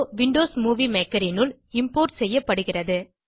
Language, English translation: Tamil, The video is being imported into Windows Movie Maker